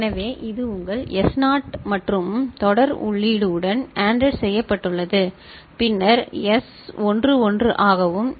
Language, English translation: Tamil, So, this is your S naught and that is ANDed with serial in, shift right serial in and then S1 is 1 and S naught is 0 ok; S naught is 0